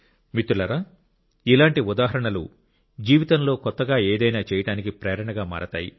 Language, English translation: Telugu, Friends, such examples become the inspiration to do something new in life